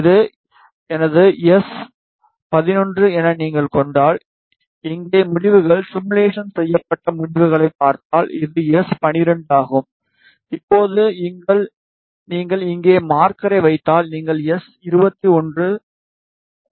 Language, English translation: Tamil, Ah If you see the results simulated results here if you see this is my S11this is S 12 that is now if you put the marker put here marker you see S 2 1 value is minus 3